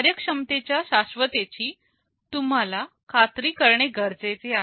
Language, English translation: Marathi, You need to ensure that performance is assured